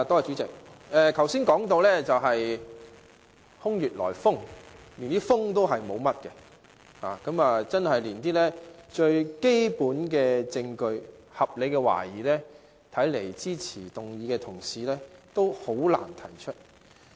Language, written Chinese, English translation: Cantonese, 主席，剛才提到空穴來風，其實也沒有甚麼風，看來支持議案的同事連最基本的證據及合理懷疑也難以提出。, President just now I was talking about baseless claims and there were no gossips at all . It seems that Members who support the motion could not give the most fundamental proof or to illustrate the reasonable doubt